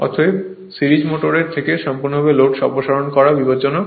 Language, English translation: Bengali, Therefore, it is thus dangerous to remove the load completely from the series motor